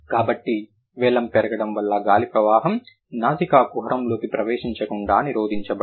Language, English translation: Telugu, So, because the vealum gets raised, the air flow gets prevented entering into the nasal cavity